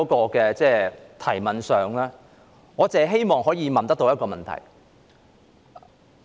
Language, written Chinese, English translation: Cantonese, 我的質詢只希望問一個問題。, My question only seeks to ask one thing